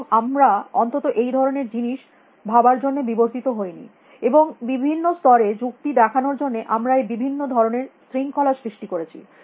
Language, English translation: Bengali, And at least we have not evolved to imagine that kind of a thing, and to reasons at different levels, we have created this different discipline